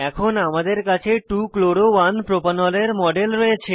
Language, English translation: Bengali, We now have the model of 2 chloro 1 propanol